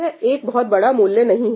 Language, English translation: Hindi, That is not a huge cost, right